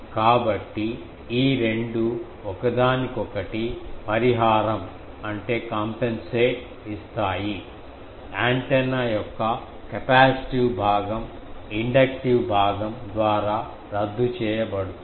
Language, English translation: Telugu, So, this two compensates each other that means, whatever antennas capacitive path that is cancelled by inductive thing